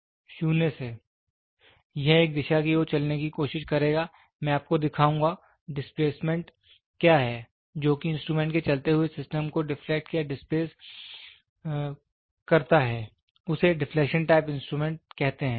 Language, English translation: Hindi, From 0, it will try to move towards one direction I will show you what is the displacement; which deflects or displaces the moving system of the instrument is known as deflection type instruments